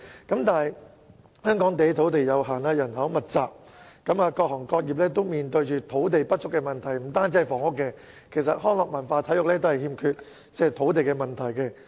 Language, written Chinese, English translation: Cantonese, 可是，香港土地有限，人口密集，各行各業均面對土地不足的問題；不單房屋，其實康樂、文化及體育活動場地均面對欠缺土地的問題。, However due to the limited land and dense population of Hong Kong various trades are facing the problem of land shortage . This is not a problem peculiar to housing construction but also a problem to the construction of recreation cultural and sports venues